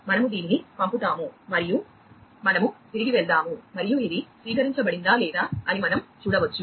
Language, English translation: Telugu, So, we send it, and we go back, and we can see whether it has been received or, not